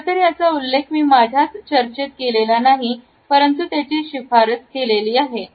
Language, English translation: Marathi, It is not been included in my discussion, nonetheless it is recommended to the participants